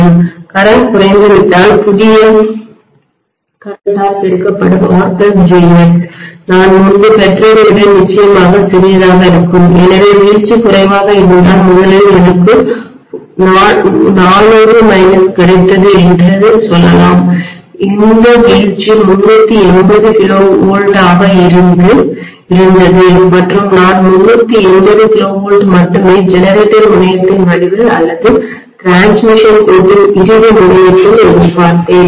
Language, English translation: Tamil, If the current decreases R plus jX multiplied by the new current will be definitely smaller compared to what I got earlier, so if the drop is lower originally let us say I was getting 400 minus this drop was maybe 380 KV and I was expecting 380 KV only at the end of the generator terminal or the final terminal of the transmission line